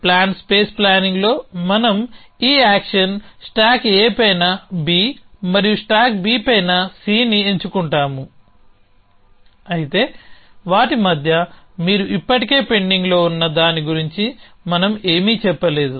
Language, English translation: Telugu, In plan space planning we are selected this action stack A on B and stack Bon C, but we are not say anything about what is you pending the relating already in between them essentially